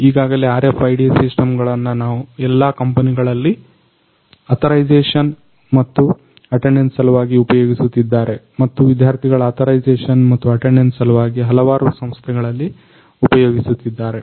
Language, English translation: Kannada, So, already RFID systems are widely used in all the companies and for authorization as well as attendance purposes, various institutes also use these for student authorization and attendance